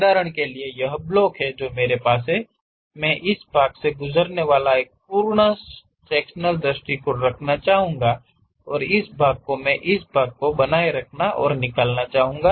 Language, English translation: Hindi, For example, this is the blocks, block what I have; I would like to have a full sectional view passing through that, and this part I would like to retain and remove this part